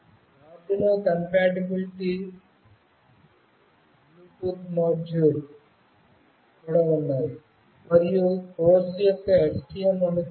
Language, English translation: Telugu, Arduino compatible Bluetooth modules are also there,s and of course STM compatible